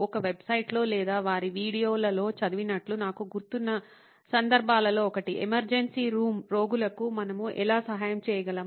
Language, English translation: Telugu, They said one of the cases I remember having read in a website or in one of their videos is they were trying to figure out, ‘How can we help emergency room patients